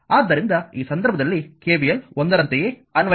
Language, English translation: Kannada, So, in this case you also apply the same thing that KVL 1